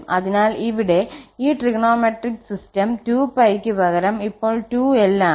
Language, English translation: Malayalam, So, here this trigonometric system the period is period is 2l now instead of 2 pi